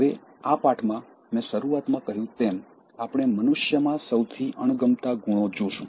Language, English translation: Gujarati, Now in this lesson, as I said at the outset, we will look at the most detested qualities inhuman beings